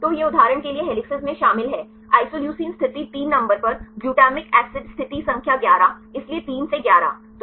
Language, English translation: Hindi, So, it contains several helices for example, isoleucine at position number 3 to glutamine acid position number 11, so 3 to 11